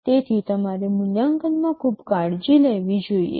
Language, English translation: Gujarati, So, you must be very careful in the evaluation